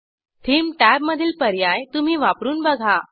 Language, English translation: Marathi, You can explore the Theme tab options on your own